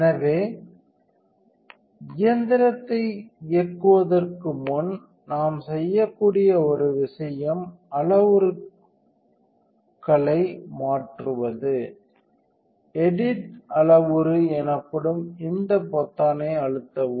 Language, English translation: Tamil, So, before we run the machine the one thing we can do is change the parameters, see hit this button called edit parameter